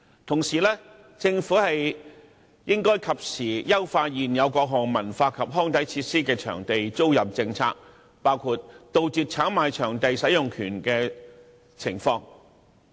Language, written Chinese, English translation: Cantonese, 同時，政府應該及時優化現有各項文化及康體設施的場地租賃政策，包括杜絕炒賣場地使用權的情況。, Meanwhile the Government should make timely improvement to the existing leasing policy of cultural recreational and sports facilities including adopting measures to curb touting activities